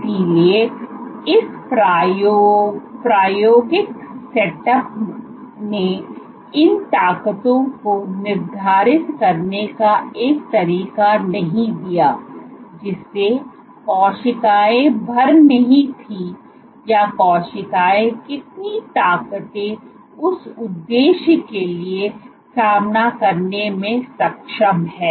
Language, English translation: Hindi, So, this experimental setup did not allow a way of quantifying the forces, which the cells were filling or how much forces the cells are capable of facing